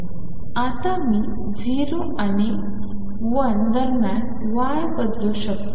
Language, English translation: Marathi, Now I can vary y between 0 and 1